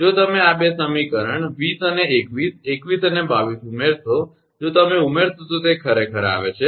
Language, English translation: Gujarati, If you add these 2 equation 20 and 21, 21 and 22, if you add then it is coming actually